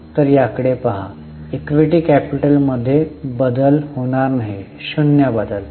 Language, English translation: Marathi, There is no change in equity capital, so zero change